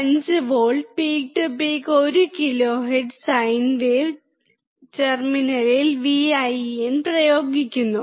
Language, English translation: Malayalam, 5V peak to peak 1kHz sine wave at the input terminal